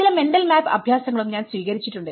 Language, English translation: Malayalam, I have also adopted the mental map exercises